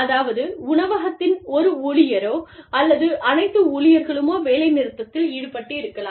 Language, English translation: Tamil, So, maybe, one hotel employee, the employees of one hotel, have gone on strike